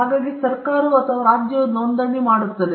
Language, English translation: Kannada, So, registration is done by the government or by the state